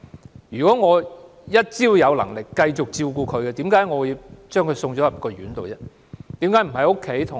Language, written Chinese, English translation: Cantonese, 只要我仍有能力繼續照顧她，為何我要把她送入院舍呢？, As long as I still have the ability to continue taking care of her why should I send her to a residential home?